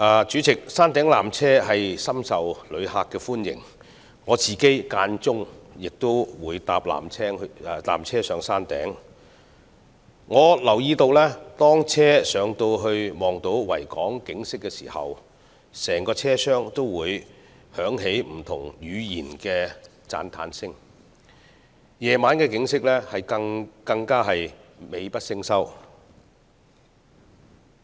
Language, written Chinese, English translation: Cantonese, 主席，山頂纜車深受旅客歡迎，我偶爾也會乘搭纜車前往山頂，並留意到每當纜車上到可看到整個維多利亞港的景色時，整個車廂會響起不同語言的讚嘆聲，夜景則更加是美不勝收。, President the peak tram is a very popular with tourists and I also go to the Peak occasionally by the peak tram and notice that when the peak tram climbs to a height where a panoramic view of the entire Victoria Harbour is in sight the tramcar is always filled with the sound of cheers in different languages and the night view is particularly magnificent